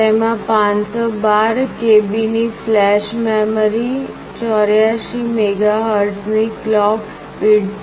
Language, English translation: Gujarati, It has got 512 KB of flash memory, clock speed of 84 MHz